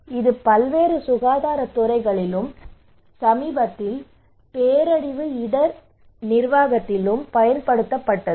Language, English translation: Tamil, So it has been applied in various health sectors and also in recently in disaster risk management